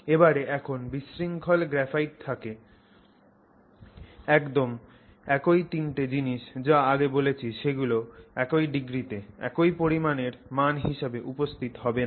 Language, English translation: Bengali, Now when you have disordered graphite exactly the same three things that I just mentioned will not be present to the degree to the same amount of value